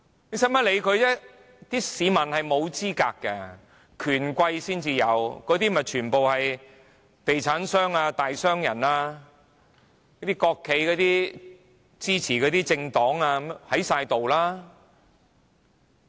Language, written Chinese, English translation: Cantonese, 不用理會他們，因為市民沒有資格，權貴才有，那些全部是地產商、大商人、國企支持的政黨，全部都在。, They can be ignored as the public are not qualified to have any votes . Only the rich and the powerful have the votes and they are property developers big businessmen political party members supported by state - owned enterprises . They were all there to cast their votes